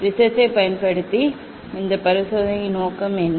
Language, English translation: Tamil, what is the aim for this experiments using the prism